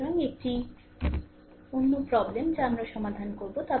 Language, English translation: Bengali, So, this is another one this will solve